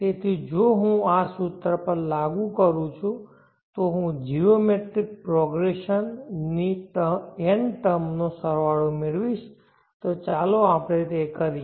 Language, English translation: Gujarati, So if I apply these to this formula I will get the sum to n terms of the geometric progression, let us do that